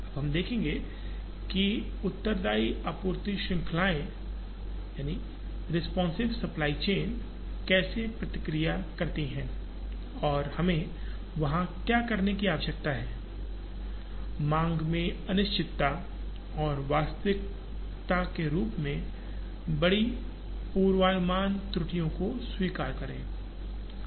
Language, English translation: Hindi, Now, we will see how responsive supply chains react and what are the things we need to do there accept uncertainty in demand, and large forecasting errors as reality